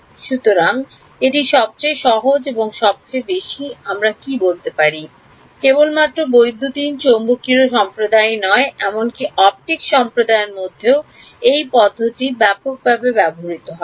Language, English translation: Bengali, So, it is the simplest and also the most what can we say, most widely used not just in the electromagnetics community, but even in the optics community this method is used extensively ok